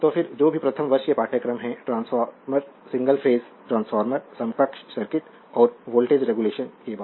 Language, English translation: Hindi, And then whatever first year courses is there for your transformer single phase transformer your equivalent circuit and after voltage regulation